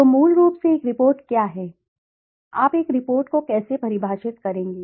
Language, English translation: Hindi, So, what is a report basically, how would you define a report